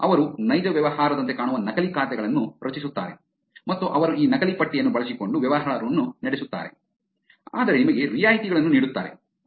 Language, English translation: Kannada, They create fake accounts that looks like real business and they are actually carry out business using these fake list, but giving you discounts